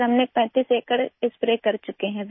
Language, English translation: Urdu, Sir, we have sprayed over 35 acres so far